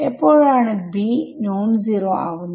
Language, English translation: Malayalam, When can the b s be non zero